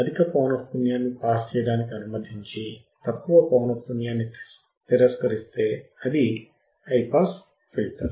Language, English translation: Telugu, If it allows high pass frequency to pass, and it rejects low pass frequency, it is high pass filter